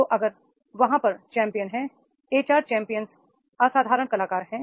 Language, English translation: Hindi, So, on base, if the, there are the champions, HR champions, exceptional performers